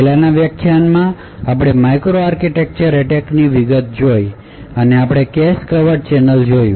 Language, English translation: Gujarati, In the previous lecture we got in details to microarchitecture attacks and we looked at cache covert channels